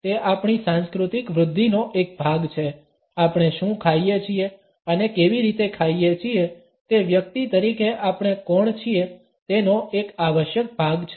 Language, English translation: Gujarati, It is a part of our cultural growing up, what we eat and how we eat is an essential part of who we are as a people